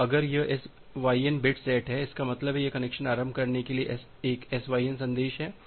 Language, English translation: Hindi, So, if this SYN bit is set; that means, it is a SYN message for connection initiation